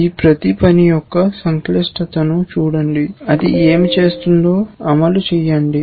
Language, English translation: Telugu, Look at the complexity of each of the task, look at these tasks, execute what is it doing